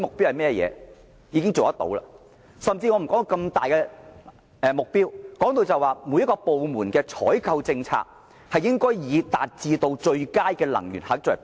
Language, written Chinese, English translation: Cantonese, 姑勿論這麼大型的項目，即使每一個部門的採購政策，亦應以達致最佳能源效益為目標。, Putting this large - scale effort aside even every department should set a target to achieve optimum energy efficiency for its procurement policy